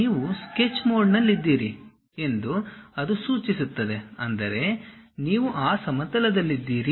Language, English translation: Kannada, That indicates that you are in Sketch mode; that means, you are on that plane